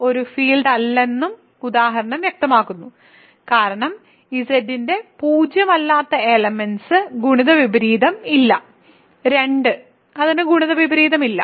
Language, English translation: Malayalam, The example also makes it clear that Z is not a field, because there are non zero elements of Z that are not fields for example, 2 is not a field ok